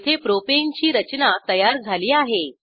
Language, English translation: Marathi, Lets first draw the structure of propane